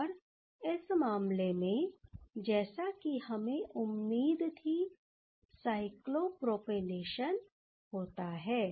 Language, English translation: Hindi, And in that case we are getting the as we expected that cyclopropanation happened